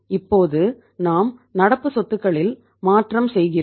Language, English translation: Tamil, Now we make a change to the current assets